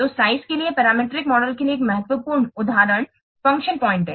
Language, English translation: Hindi, So one of the important example for parameter model for size is function points